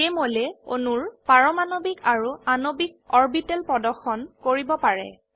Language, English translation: Assamese, Jmol can display atomic and molecular orbitals of molecules